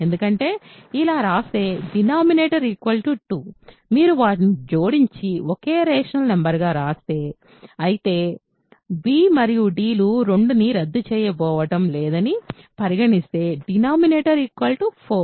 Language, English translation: Telugu, Because if you write it like this, the denominator will be 2; if you add them and write it as a single rational number; whereas, denominator is 4 provided b and d are not going to cancel 2